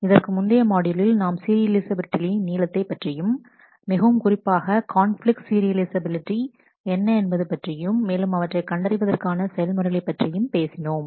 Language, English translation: Tamil, In the last module we have talked at length about serializability and specifically, we looked at what is known as conflict serializability and the algorithm to detect that